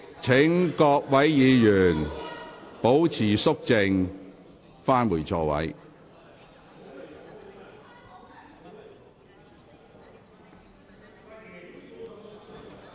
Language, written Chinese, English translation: Cantonese, 請各位議員保持肅靜，返回座位。, Will Members please keep quiet and return to your seats